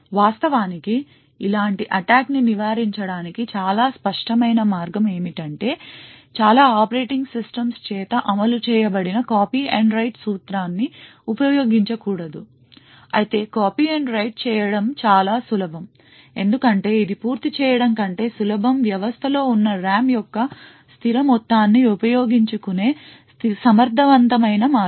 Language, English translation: Telugu, The most obvious way to actually prevent such an attack is to not to use copy and write principle which is implemented by most operating systems, however this is easier said than done because copy and write is a very efficient way to utilise the fixed amount of RAM that is present in the system